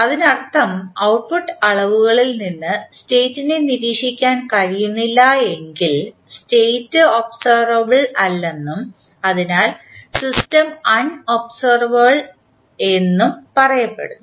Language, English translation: Malayalam, That means that if anyone of the states cannot be observed from the measurements that is the output measurements, the state is said to be unobservable and therefore the system will be unobservable